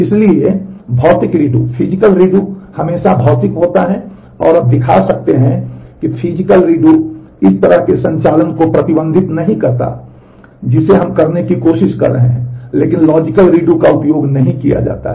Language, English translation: Hindi, So, physical redo is always physical and you can show that physical redo does not prohibit this kind of operations that we are trying to do, but the logical redo is not used